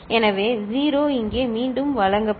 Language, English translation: Tamil, So, 0 will be fed back here